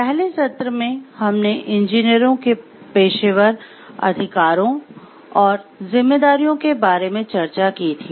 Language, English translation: Hindi, In the earlier session we have discussed about the professional rights and responsibilities of engineers